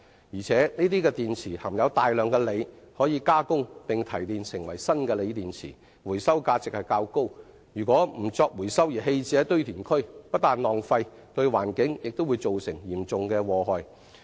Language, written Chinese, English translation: Cantonese, 而且，這些電池含有大量的鋰元素，可加工並提煉成為新的鋰電池，回收價值較高，若不作回收而棄置於堆填區，不但浪費，對環境亦造成嚴重的禍害。, Also such batteries contain huge quantities of lithium which can be processed and turned into new lithium batteries . So their recycle value is quite high . If they are simply dumped in landfills instead of being recycled huge waste of resources will result and the environment will also suffer serious damage